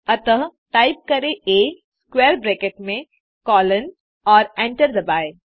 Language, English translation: Hindi, So type A within square bracket2 and hit enter